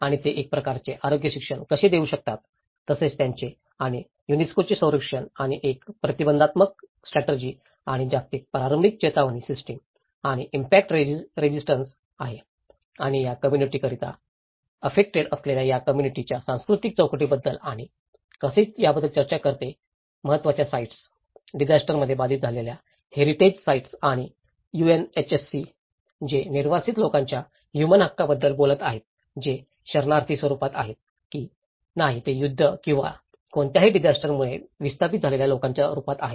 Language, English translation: Marathi, And how they can give kind of health education and as well as the protection for them and UNESCO which is a prevention strategy and global early warning system and impact resistant and it also talks about the cultural framework for these communities affected for a communities and how also the important sites, the heritage sites which have been affected in the disasters and UNHC which is talking about the human rights of displaced people whether in the form of refugees whether in the form of people who have been displaced due to war or any disaster